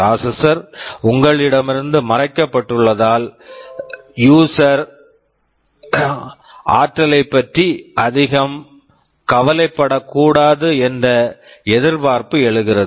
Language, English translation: Tamil, Because the processor is hidden from you and it is expected that the user should not worry too much about energy